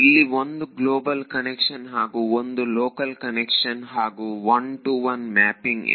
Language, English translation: Kannada, There is a set of global convention there are set of local convention then a 1 to 1 mapping over here